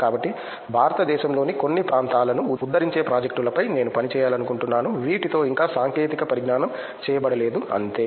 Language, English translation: Telugu, So, that I would like to work on projects which uplift the parts of India which are yet to be technolized with this, that is all